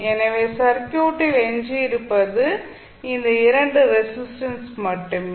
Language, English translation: Tamil, So, what we left in the circuit is only these 2 resistances